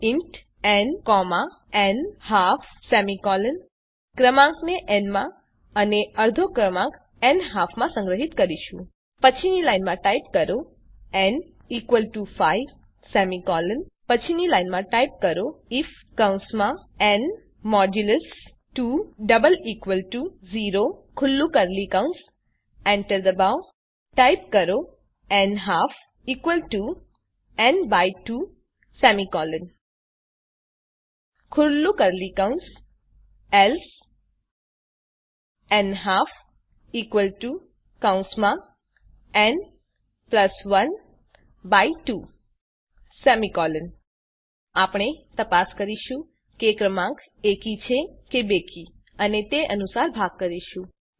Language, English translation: Gujarati, See inside the main method Type int n, nHalf semicolon We will store the number in n and the half number in nHalf NExt line Type n = 5 semicolon Next line Type if within bracket n modulus 2 == 0 open curly brackets Press enter Type nHalf = n / 2 semicolon In the else part type within curly brackets nHalf equal to within brackets n+1 the whole divided by 2 semicolon We check if the number is even or odd and do the division accordingly